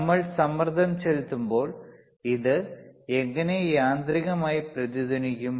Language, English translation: Malayalam, How this will mechanically resonate when we apply pressure,